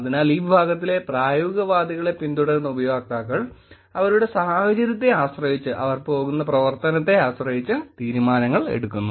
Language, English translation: Malayalam, So, users who followed this category of pragmatists make decisions depending on the situation of their, depending on the activity that they are going